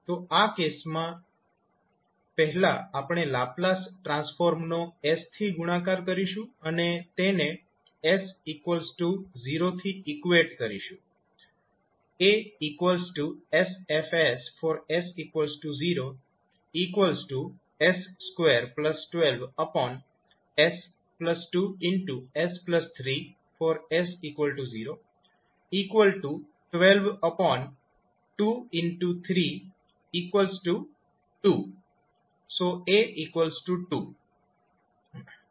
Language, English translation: Gujarati, So, in this case we will first multiply the Laplace transform with s and equate it for s is equal to 0